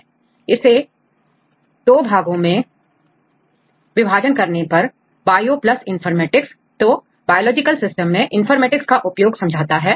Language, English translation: Hindi, If you split it into two parts: bio plus informatics, so applications of the informatics on biological systems